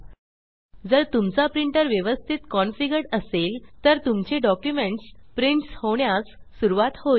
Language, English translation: Marathi, If you have configured your printer correctly, your document will started printing